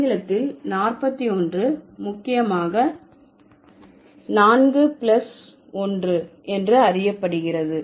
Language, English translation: Tamil, In English, 41 is mainly known as 4 plus 1